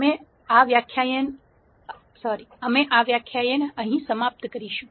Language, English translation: Gujarati, We will conclude this lecture at this point